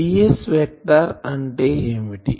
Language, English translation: Telugu, Now, what is ds vector